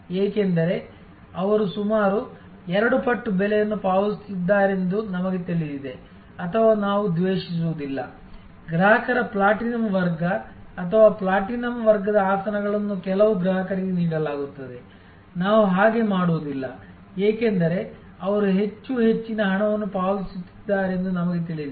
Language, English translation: Kannada, Because, we know they are paying almost double the price or we do not grudge, that the platinum class of customers or the platinum class of seats are given to certain customers, we do not, because we know that they are paying much higher